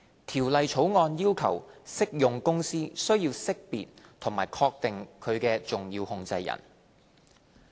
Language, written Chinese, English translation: Cantonese, 《條例草案》要求適用公司須識別和確定其重要控制人。, The Bill requires an applicable company to identify and ascertain its significant controllers